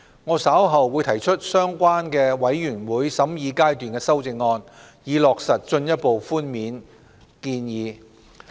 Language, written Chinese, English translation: Cantonese, 我稍後會提出相關的全體委員會審議階段修正案，以落實進一步寬免建議。, I will propose the relevant Committee stage amendments later on to give effect to the proposal concerning further tax concessions